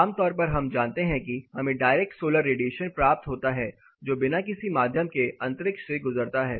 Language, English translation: Hindi, Typically we know we get direct solar radiation it passes through the space without any medium